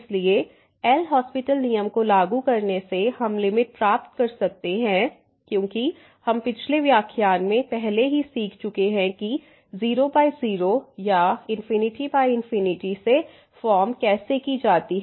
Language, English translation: Hindi, So, applying the L’Hospital rule we can get the limit because we have already learnt in the last lecture how to deal search forms 0 by 0 or infinity by infinity